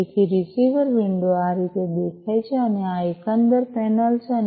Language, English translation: Gujarati, So, this is how the receiver window looks like and this is the overall panel and